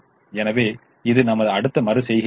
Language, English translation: Tamil, so this is our next iteration